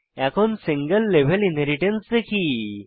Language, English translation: Bengali, Let us see what is single level inheritance